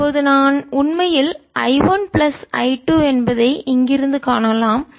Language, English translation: Tamil, now we can see from the here that i is actually i one plus i two